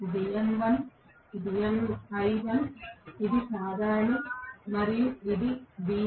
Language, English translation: Telugu, This is m1, this is l1, this is common and this is v1